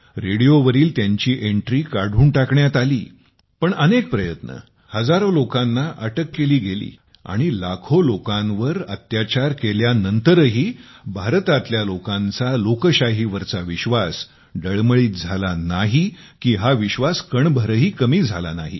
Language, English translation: Marathi, But even after many attempts, thousands of arrests, and atrocities on lakhs of people, the faith of the people of India in democracy did not shake… not at all